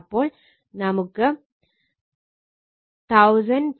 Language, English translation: Malayalam, So, it is 2478